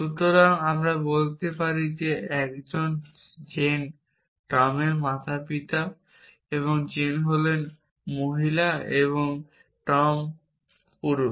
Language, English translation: Bengali, So, I could say a Jane is a parent of tom and Jane is female and Tom is male